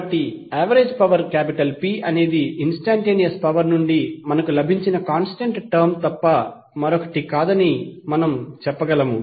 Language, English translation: Telugu, So we can say that the average power P is nothing but the constant term which we have got from the instantaneous power